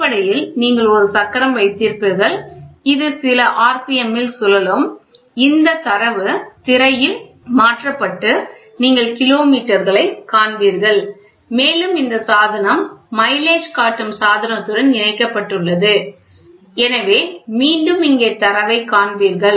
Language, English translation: Tamil, So, basically you will have a wheel which rotates at some rpm, it rotates at some rpm and this data is getting converted on the screen you will see kilometers, you will see kilometers and then this in turn is linked with a mileage showing device or mileage device, ok